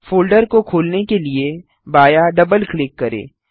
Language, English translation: Hindi, Left double click to open the folder